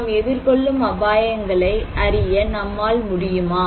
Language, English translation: Tamil, So, can we know the risks we face, is it possible